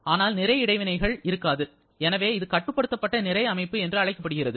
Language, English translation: Tamil, But there is no mass interaction and therefore it is a closed system now